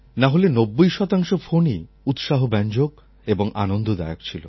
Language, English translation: Bengali, But more than 90% things were energizing and pleasant